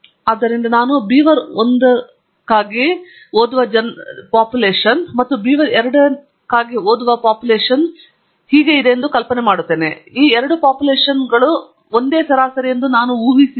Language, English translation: Kannada, So, I am imagining that there is a population of readings for beaver1, and population of readings for beaver2, and I am assuming that both these populations have same averages